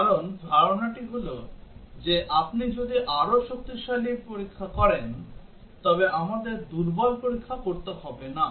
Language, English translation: Bengali, Because the idea is that if you are doing a stronger testing, we do not have to do a weaker testing